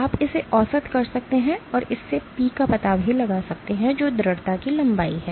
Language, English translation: Hindi, You can average it out and find out this P which is the persistence length